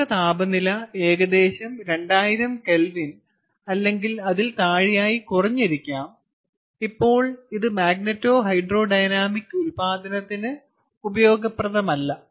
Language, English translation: Malayalam, the gas temperature has probably fallen down to around two thousand kelvin or less, and now it is no longer useful for magneto hydro dynamic ah generation